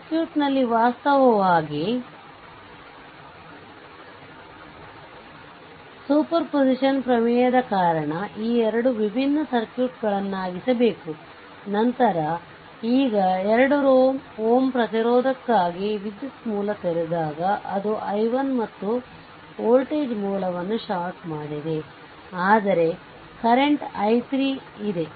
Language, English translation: Kannada, So, after breaking after getting this 2 different circuit because of superposition theorem, so now, in this case for 2 ohm resistance, when current source is open it is current i 1 and when your voltage source is shorted, but current source is there i 3